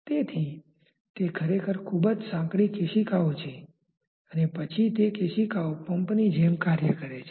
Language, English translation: Gujarati, So, those are really very narrow capillaries and then the capillary acts like a pump